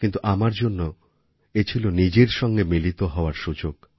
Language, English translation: Bengali, For me, it was an opportunity to meet myself